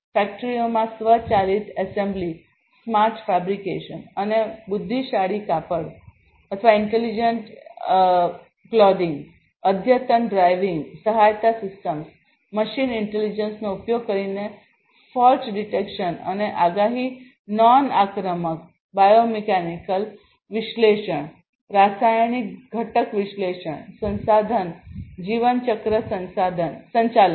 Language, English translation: Gujarati, Automatic assembly in factories, smart fabric and intelligent textiles, advanced driving assistance systems, fault detection and forecast using machine intelligence, non invasive biomechanical analysis, chemical component analysis resource lifecycle management